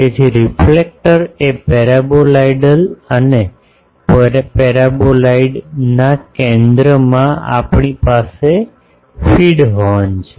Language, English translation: Gujarati, So, the reflector is the paraboloidal we have a feed horn at the focus of the paraboloid